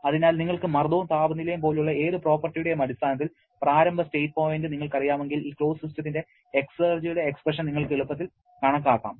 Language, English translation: Malayalam, So, once you know the initial state point in terms of whatever properties say pressure and temperature, you can easily calculate the expression for the exergy of this closed system